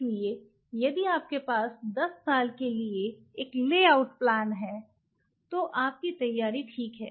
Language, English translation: Hindi, So, if you have a lay out plan for 10 years you are good to go